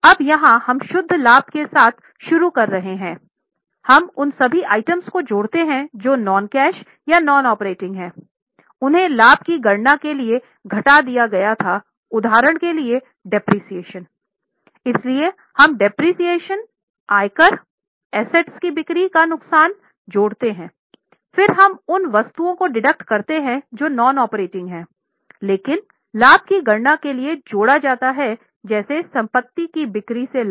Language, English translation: Hindi, Now here what we are doing is we are starting with net profit, adding all those items which are non cash or non operating they were deducted for calculating the profit for example depreciation so we add depreciation we add income tax provided we add loss on sale of asset etc then we deduct those items which are non operating but are added for calculating of profits like profit from sale of asset etc